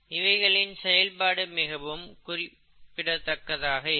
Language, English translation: Tamil, So they are very specific in their action